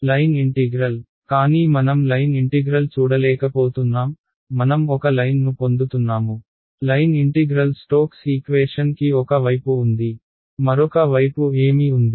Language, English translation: Telugu, The line integral, but I do not see a line integral if am going to get a line ok, line integral is there on one side of stokes equation what is the other side